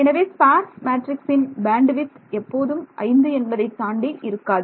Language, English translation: Tamil, So, the spareness of this matrix the bandwidth of this sparse matrix cannot exceed 5